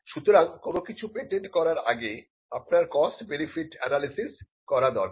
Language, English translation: Bengali, So, patenting is something which you would do based on a cost benefit analysis